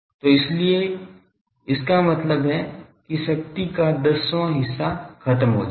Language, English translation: Hindi, So, that is why that means, one tenth of the power can be made to lost